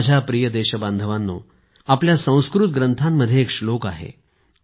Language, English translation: Marathi, My dear countrymen, there is a verse in our Sanskrit texts